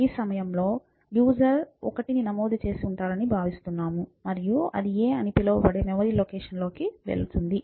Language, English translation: Telugu, So, at this point the user is expected to have entered 1 and that would go into the memory location which is called a